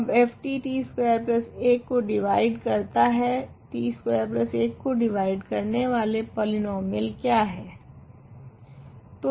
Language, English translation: Hindi, Now f t divides t squared plus 1 what are the polynomials that divide t square plus 1